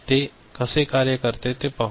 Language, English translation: Marathi, So, let us see how it works, right